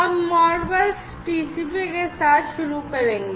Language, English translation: Hindi, So, we will start with the ModBus TCP